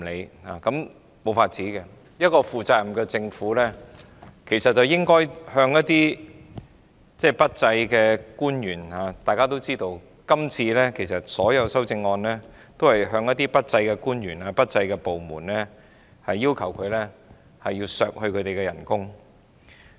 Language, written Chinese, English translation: Cantonese, 這樣也沒有辦法，一個負責任的政府其實應處罰表現不濟的官員，而大家也知道今次所有修正案都是針對表現不濟的官員及部門，要求削減他們的薪酬或開支。, There is nothing we can do about that because a responsible government should actually penalize those officers who have underperformed . As we all know all amendments proposed to the Budget this year are targeted at underperforming officers and departments and seek to reduce their emoluments or expenditure